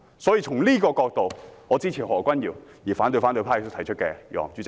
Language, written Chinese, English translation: Cantonese, 因此，我支持何君堯議員的議案，並反對反對派提出的議案。, I therefore support Dr Junius HOs motion and oppose the motion moved by the opposition camp